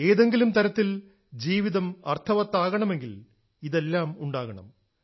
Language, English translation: Malayalam, In a way if life has to be meaningful, all these too are as necessary…